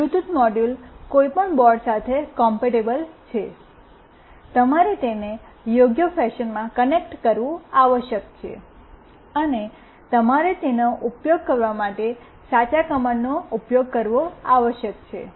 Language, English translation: Gujarati, Bluetooth module are compatible with any board, you must connect it in the correct fashion, and you must use the correct command for using it